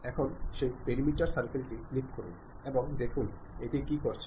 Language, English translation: Bengali, Let us click that perimeter circle and see what it is doing